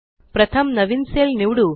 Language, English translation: Marathi, First let us select a new cell